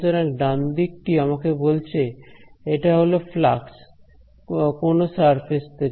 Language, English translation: Bengali, So, the right hand side is telling me it is the flux of a from some surface